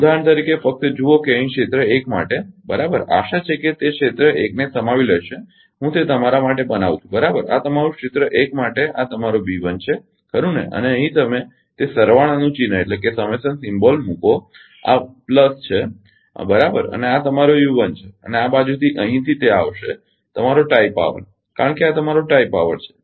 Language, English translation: Gujarati, For example just see that here for area 1, right, hope it will be accommodated area 1, I am making it for you right this is your for area 1 this is your B 1 right and here you put that summation symbol this is plus, right and this is your ah your u 1 and this side from here it will come that your tie power because this is your tie power